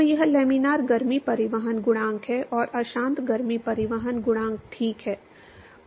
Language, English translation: Hindi, So, this is laminar heat transport coefficient, and turbulent heat transport coefficient ok